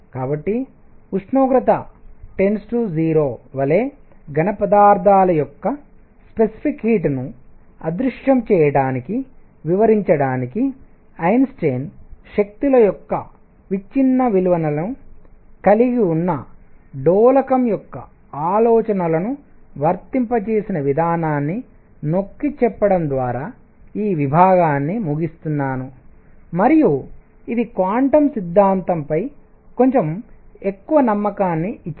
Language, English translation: Telugu, So, I conclude this, this section by emphasizing that Einstein applied the ideas of an oscillator having quantized values of energies to explain the vanishing of specific heat of solids as temperature goes to 0 and that gave a little more trust in quantum theory